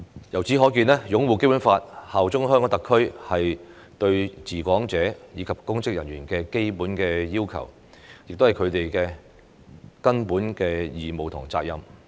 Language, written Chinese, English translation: Cantonese, 由此可見，擁護《基本法》、效忠香港特區是對治港者及公職人員的基本要求，亦是他們的根本義務和責任。, It is evident that upholding the Basic Law and bearing allegiance to HKSAR are the basic requirements fundamental obligation and duty of people administering Hong Kong and public officers